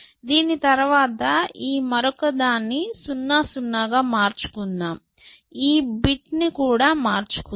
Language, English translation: Telugu, change this other one, 0 1 0, 0 0, I change the other bit as well